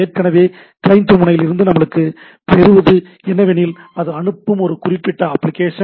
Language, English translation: Tamil, So, what we have from the client end it is a sending a particular say application